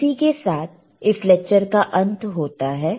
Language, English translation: Hindi, So, this end of this lecture